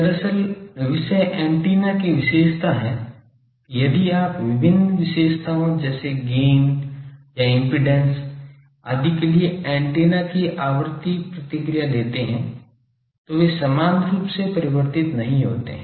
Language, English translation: Hindi, Actually, the point is that antenna characteristic if you take frequency response of antennas for various characteristic like gain or suppose impedance etcetera etc